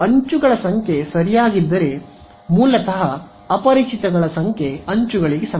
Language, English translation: Kannada, Now, if the number of edges ok so, I basically the number of unknowns is the number of edges